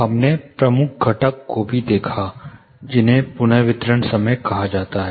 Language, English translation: Hindi, We also looked at major component which is called reverberation time